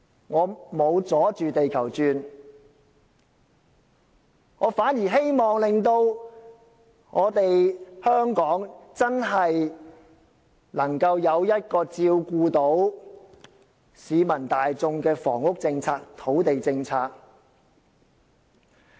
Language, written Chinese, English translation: Cantonese, "我沒有"阻住地球轉"，我反而希望令香港能真正有一項照顧到市民大眾的土地及房屋政策。, You should not stand in the way . I am not standing in the way . On the contrary I hope that the land and housing policies formulated can really take care of everyones needs